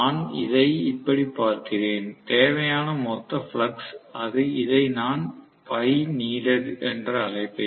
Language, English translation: Tamil, So, I am looking at it this way, the total flux needed, I will call this as phi needed